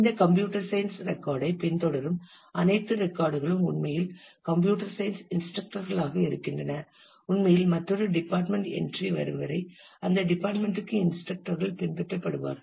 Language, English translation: Tamil, Then all those records which follow this computer science entry are actually instructors in the computer science till I actually come across another departments entry where which will be followed by instructors for that department